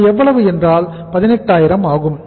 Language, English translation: Tamil, This is 18000